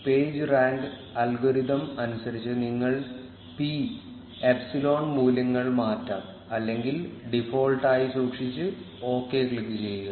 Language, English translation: Malayalam, You can change the p and epsilon values as per the page rank algorithm or keep it as default and click on OK